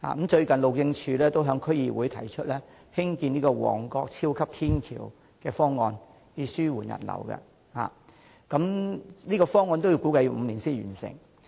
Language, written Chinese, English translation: Cantonese, 最近，路政署也在區議會提出在旺角興建超級天橋的方案，以紓緩人流，但這個方案估計需時5年才可完成。, Recently the Highways Department has also proposed in the District Council the construction of a super long footbridge in Mong Kok to improve pedestrian flow but it is estimated that the construction works will take five years to complete